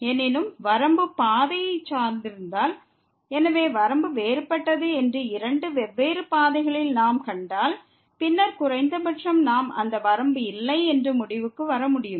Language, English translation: Tamil, However, if the limit is dependent on the path, so if we find along two different paths that the limit is different; then, at least we can conclude that limit does not exist